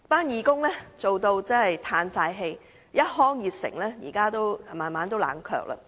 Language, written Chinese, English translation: Cantonese, 義工亦已心灰意冷，一腔熱誠至今也慢慢冷卻了。, Its volunteers are already dispirited and their enthusiasm has cooled off gradually